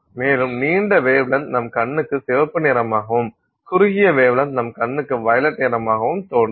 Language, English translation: Tamil, And the longer wavelengths appear to our eye as red color and the shorter wavelengths appear to our eye as violet color and that's how you get the range of colors